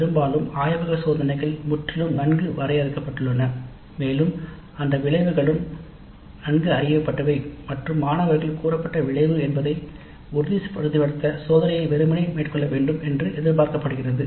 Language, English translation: Tamil, Most of the time the laboratory experiments are totally well defined and the outcome is also well known and the students are expected to simply carry out the experiment to ensure that the stated outcome is achieved